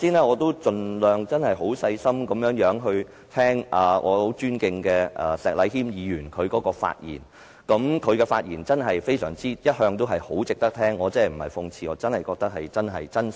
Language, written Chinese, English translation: Cantonese, 我剛才盡量很細心聆聽我很尊敬的石禮謙議員的發言，他的發言一向都很值得聆聽，我真的不是諷刺，而是真心的。, I have listened quite attentively to the speech of Mr Abraham SHEK whom I hold in high esteem . His speech is always worth listening . I am not being sarcastic; I really mean what I say